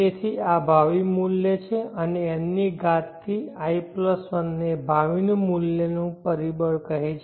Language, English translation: Gujarati, So this is the future worth and I+1 to the power of n is called the future worth factor